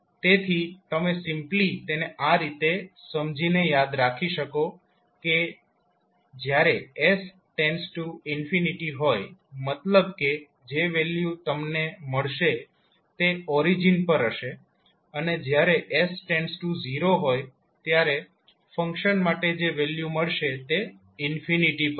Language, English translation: Gujarati, So you can simply remember it by understanding that when s tending to infinity means the value which you will get will be at origin and when s tends s to 0 the value which you will get for the function is at infinity